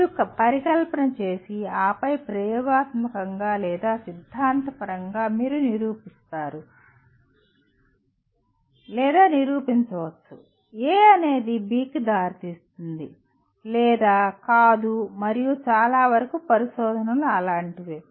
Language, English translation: Telugu, You may hypothesize and then either experimentally or theoretically you prove or disprove A leads to B or not and much of the research is done like that